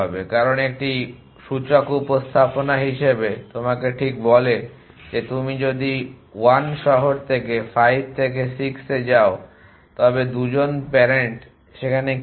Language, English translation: Bengali, as the index representation it tells you exactly that if you 1 go from 6 from city 5 what are 2 parents in